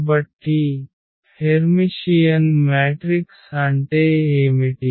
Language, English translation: Telugu, So, what is the Hermitian matrix